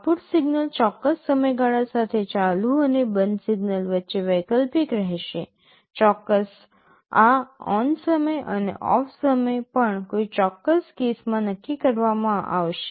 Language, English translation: Gujarati, The output signal will alternate between ON and OFF durations with a specific time period; of course, this ON time and OFF time will also be fixed for a particular case